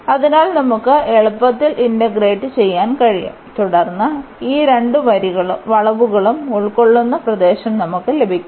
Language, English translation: Malayalam, So, which we can easily integrate and then we will get the area enclosed by these two curves